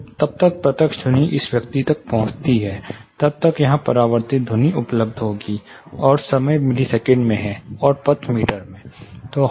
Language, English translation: Hindi, By the time the direct sound reaches this person, there will be lot of reflected sound available here, and there is a running time in millisecond, and the path in meter